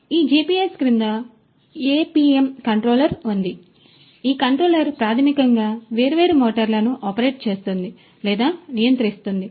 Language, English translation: Telugu, And, below this GPS is this APM controller and it is this controller which basically makes or controls these different motors to operate